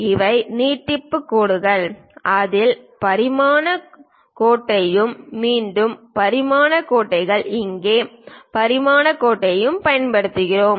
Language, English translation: Tamil, These are the extension lines and in that we use dimension line, again dimension line here and also here dimension line